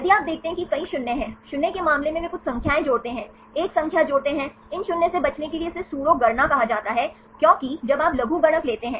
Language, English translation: Hindi, If you see there are many zeros; in the case of zeros they add few numbers, add a number, this is called a pseudo count, to avoid these zeros because when you take the logarithmic